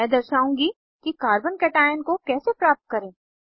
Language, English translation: Hindi, I will show how to obtain a Carbo cation